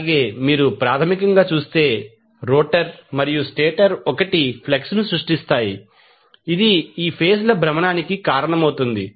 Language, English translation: Telugu, So, in that way if you see basically, the rotor and stator will create 1 flux which will cause the rotation of these phases